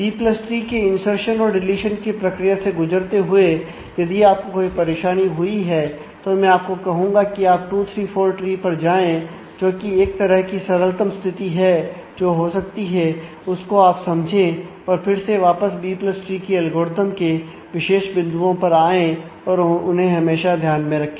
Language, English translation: Hindi, So, while going through the insertion deletion processes of B + tree, if you have difficulty following I would request that you go back to the 2 3 4 tree that is kind the simplest situation that can have that can occur and understand that and then you come back to the specific points in the B + tree algorithm and also always keep in mind